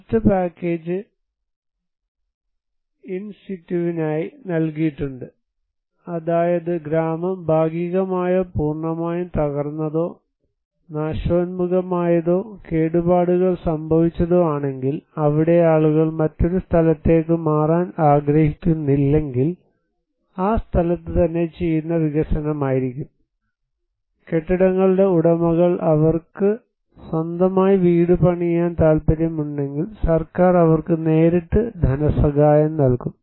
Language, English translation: Malayalam, The other package was given for in situ, and that is that if the village is partially or completely collapsed, devastated, damaged then, there if the people do not want to relocate to a another place, then it could be in situ development and if the owners of the buildings, the citizens they want to build their own house, then government will directly provide them financial assistance